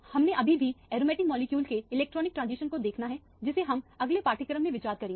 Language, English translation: Hindi, We still have to see the electronic transitions of aromatic molecule which we will consider in the next module Thank you very much for your attention